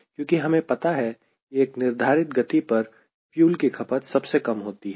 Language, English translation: Hindi, because we know that there is a particular speed at which fuel consumption is minimum